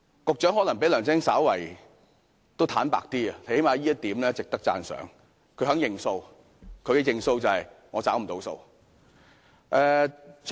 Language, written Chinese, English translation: Cantonese, 局長可能比梁振英稍為坦白，最少這方面是值得讚賞的，因他肯"認數"。, The Secretary may be slightly more honest than LEUNG Chun - ying which I consider is a point that merits commendation for he is willing to admit the inadequacies